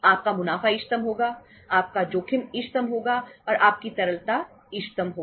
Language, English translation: Hindi, Your profits will be optimum, your risk will be optimum and your liquidity will be optimum